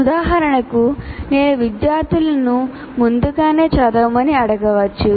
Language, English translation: Telugu, For example, I can ask the students to read in advance and come to the class